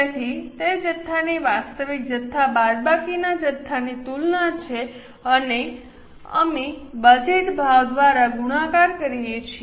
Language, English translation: Gujarati, So, it's a comparison of quantity, actual quantity minus budgeted quantity and we multiply it by budgeted price